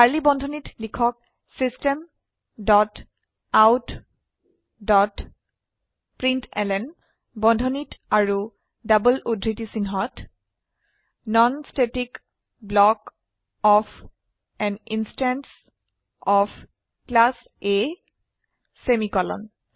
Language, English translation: Assamese, System dot out dot println within brackets and double quotes Second Non static block of an instance of Class A semicolon